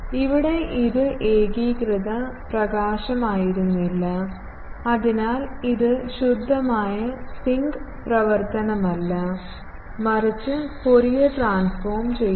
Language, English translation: Malayalam, Here, it was not uniform illumination and so, it is not a pure sinc function, but Fourier transforming